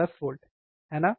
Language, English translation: Hindi, 10 volts, right